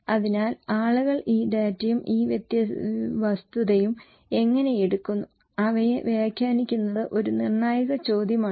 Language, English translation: Malayalam, So, how people take this data, this fact and interpret them is a critical question